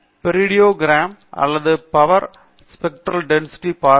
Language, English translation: Tamil, By looking at the periodogram or the power spectral density